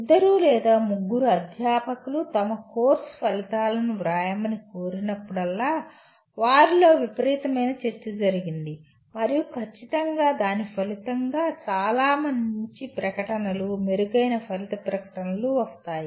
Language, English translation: Telugu, Always whenever the two or three faculty are requested to write the outcomes of their course, there has been a tremendous amount of discussion among them and certainly as a result of that a much better statements, much better outcome statements will result